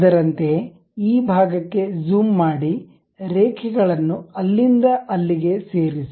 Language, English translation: Kannada, Similarly, zoom into this portion, join by lines, there to there